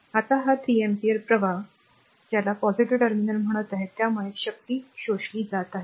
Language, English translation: Marathi, Now, this 3 ampere current is entering into the your what you call positive terminal so, power is being absorbed